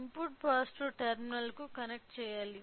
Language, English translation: Telugu, The input should be connected to the positive terminal